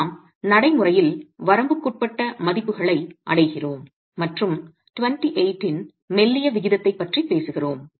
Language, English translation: Tamil, And we are reaching practically limiting values when you are talking of a slendinous ratio of 28